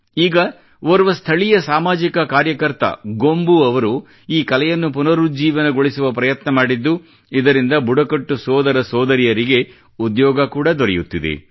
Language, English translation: Kannada, Now a local social worker Gombu has made an effort to rejuvenate this art, this is also giving employment to tribal brothers and sisters there